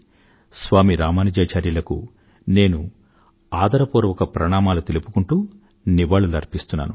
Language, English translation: Telugu, I respectfully salute Saint Ramanujacharya and pay tributes to him